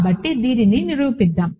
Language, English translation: Telugu, So, let us prove this